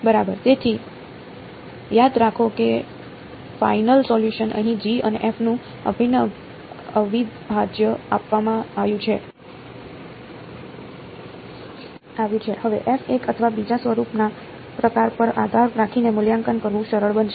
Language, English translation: Gujarati, Exactly so, remember the final solution is given here the integral of G and F, now depending on the kind of form of f one or the other will be easier to evaluate